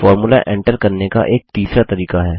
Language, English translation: Hindi, There is a third way of writing a formula